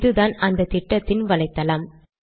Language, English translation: Tamil, This is the website of this mission